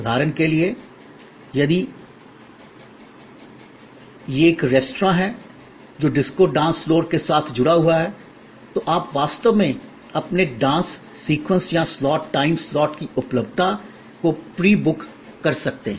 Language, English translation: Hindi, For example, if it is a restaurant, which is associated with a disco dance floor, then again you know you may actually pre book your availability of your dance sequence or slot, time slot and this can be pre booked